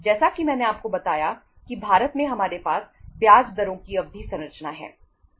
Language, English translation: Hindi, As I told you that in India we have the term structure of interest rates